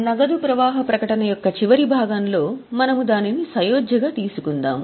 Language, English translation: Telugu, We will take it in the last part of cash flow statement as a reconciliation